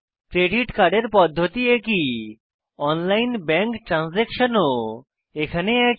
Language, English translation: Bengali, The method is similar for credit card, online bank transaction is similar